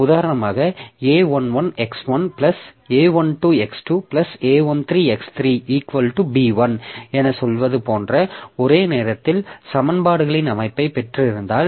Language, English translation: Tamil, Like for example if I have got say a system of simultaneous equations like say A1 A11 x1 plus A12 x2 plus A13 equal to say B1